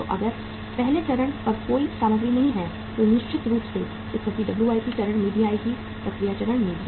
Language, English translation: Hindi, So if the there is no material on the first stage certainly the situation will also arrive at the WIP stage also, at the work in process stage also